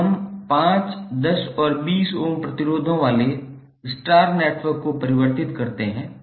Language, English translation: Hindi, Now let us convert the star network comprising of 5, 10 and 20 ohm resistors